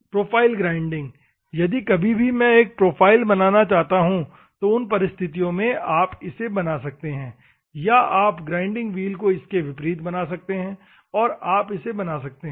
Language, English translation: Hindi, Profile grinding: if at all, I want to generate a profile in those circumstances you can generate, or you can make a grinding wheel converse to it, and you can generate